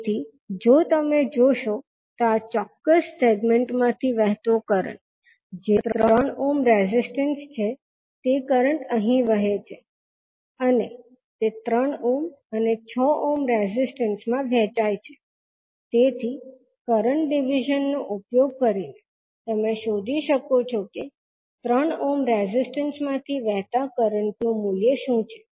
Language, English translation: Gujarati, So, if you see the current flowing in this particular segment that is 3 ohm resistance will be the current which is flowing here will be divided in 3 ohm and 6 ohm resistance so using current division you can find out what is the value of current flowing in the through this particular 3 ohm the resistance